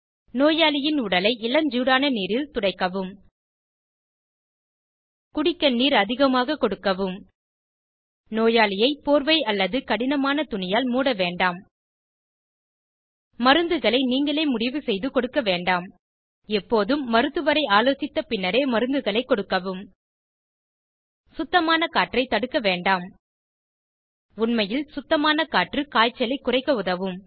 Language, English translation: Tamil, Give the patient a sponge bath in Luke warm water Give the patient lots of water to drink Do not wrap the person in a blanket or thick clothing Do not give medicines on your own Always give medicines after consulting the doctor Do not block fresh air In fact, fresh breeze helps to lower the fever